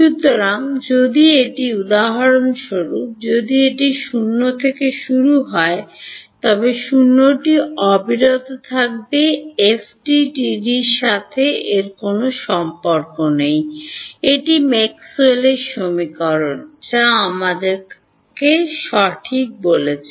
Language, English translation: Bengali, So, if it for example, if it is 0 to begin with it will continue to be 0, this has nothing to do with FDTD, this what Maxwell’s equation that telling me right